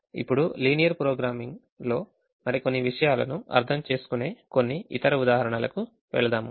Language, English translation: Telugu, now let us move to couple of other examples where, where we understand a few more things in linear programming